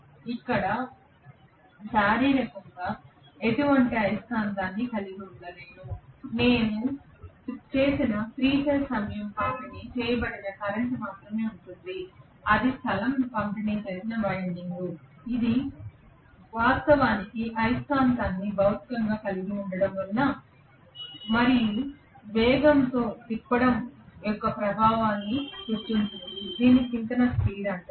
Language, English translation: Telugu, I am not having really physically any magnet here what I have done is only to have a 3 phase time distributed current I have given that is a space distributed winding that has created the effect of actually having a magnet physically and rotating it at a speed which is known as synchronous speed